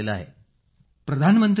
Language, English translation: Marathi, Prime Minister …